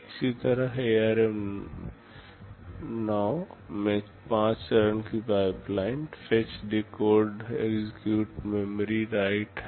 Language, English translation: Hindi, Similarly ARM9 has a 5 stage pipeline, fetch, decode, execute, memory, write